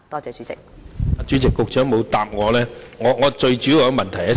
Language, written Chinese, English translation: Cantonese, 主席，局長沒有答覆我的補充質詢。, President the Secretary did not answer my supplementary question